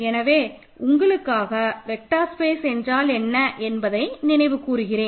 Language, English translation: Tamil, So, let me quickly recall for you what is a vector space